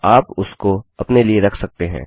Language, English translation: Hindi, Or you can keep it to yourself